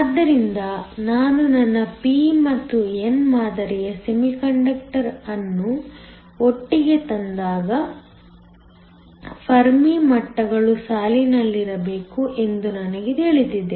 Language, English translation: Kannada, So, when I bring my p and n type semiconductor together, I know that the Fermi levels must line up